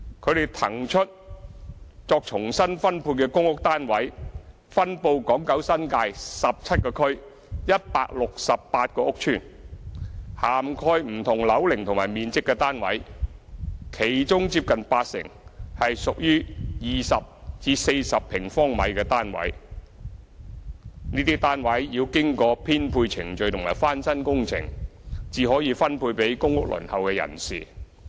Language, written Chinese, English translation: Cantonese, 他們騰出作重新分配的公屋單位分布港九新界17個區、168個屋邨，涵蓋不同樓齡和面積的單位，其中接近八成是屬於20至40平方米的單位。這些單位要經過編配程序和翻新工程，才可以分配給公屋輪候人士。, The PRH units vacated for reallocation are located throughout the territory spanning 17 districts and 168 estates and cover different ages and sizes with nearly 80 % of them measured between 20 sq m and 40 sq m These units will first undergo the allocation procedure and renovation works before being allocated to PRH applicants